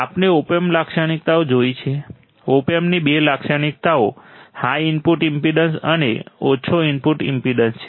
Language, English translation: Gujarati, We have seen the Op Amp characteristics, two characteristics of opamp are the high input impedance and low output impedance